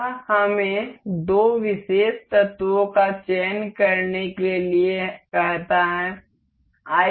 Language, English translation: Hindi, This asks us to select two particular elements